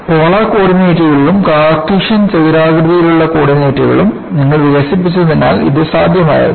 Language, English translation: Malayalam, This was possible because you had the development of polar coordinates, as well as Cartesian rectangular coordinates